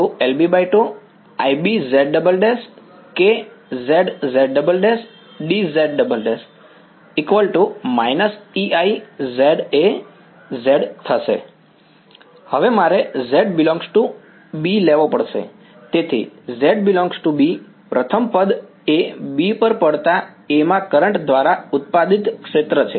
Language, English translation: Gujarati, So, z belonging to B first term is the field produced by the current in A falling on B right